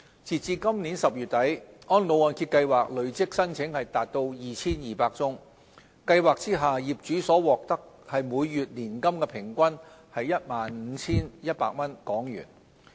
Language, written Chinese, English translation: Cantonese, 截至今年10月底，安老按揭計劃累積申請共 2,200 宗，計劃下業主所獲每月年金平均為 15,100 港元。, Up to end October 2017 RMP had recorded a total of 2 200 applications with an average monthly payout to the participants at HK15,100